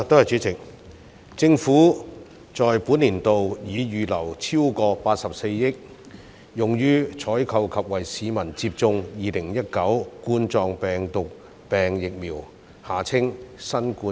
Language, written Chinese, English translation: Cantonese, 主席，政府在本財政年度已預留超過84億元，用於採購及為市民接種2019冠狀病毒病疫苗。, President the Government has earmarked over 8.4 billion in the current financial year for procuring Coronavirus Disease 2019 vaccines and administering them to members of the public